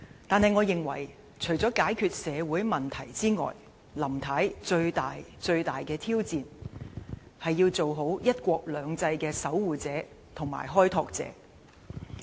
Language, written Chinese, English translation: Cantonese, 然而，我認為除了解決社會問題外，林太最大的挑戰，是要做好"一國兩制"的守護者和開拓者。, However in my view apart from solving social problems the greatest challenge for Mrs LAM is to properly perform her duty as the guardian and pioneer of one country two systems